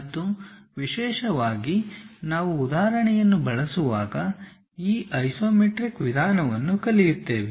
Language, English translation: Kannada, And especially we will learn this isometric box method in using an example